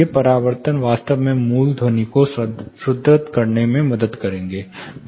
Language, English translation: Hindi, These reflections will in fact help reinforcing the original sound